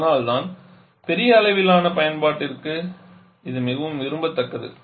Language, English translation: Tamil, And that is why where is more preferred for large scale application because of this